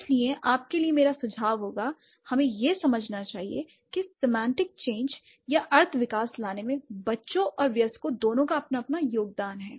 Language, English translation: Hindi, So, my suggestion for you would be we should understand both the children and the adult, they have their own share of contribution to bring the semantic change or the semantic development